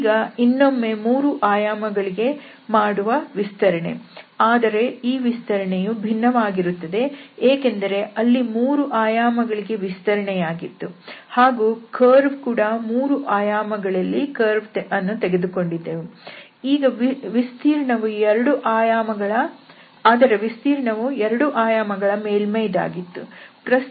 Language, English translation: Kannada, So, there the extension will be again to 3 dimensions, but the extension, the type would be different because here the extension was the 3 dimension but the curve was a curve again 3D and that area which was in 2D in this case, was a surface